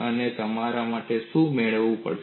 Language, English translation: Gujarati, And what you would have to get finally